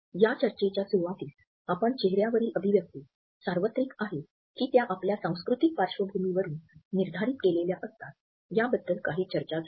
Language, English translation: Marathi, In the beginning of this discussion we had looked at how there had been some debate whether the expression on our face is universal or is it determined by our cultural backgrounds